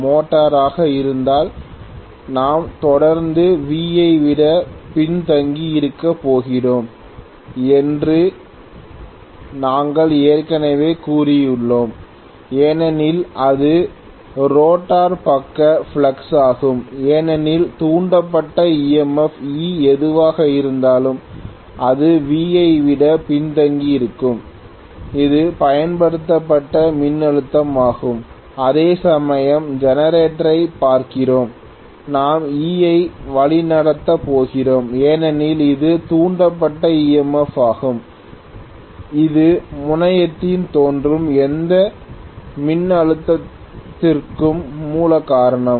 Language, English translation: Tamil, I think we already said that if it is motor we are going to have invariably E lagging behind V that is the rotor side flux because of that whatever is the induced EMF E that is going to lag behind V which is the applied voltage, whereas if we are looking at generator right, if we are looking at generator we are going to have E leading because this is the induced EMF which is the root cause for any voltage that is appearing at the terminal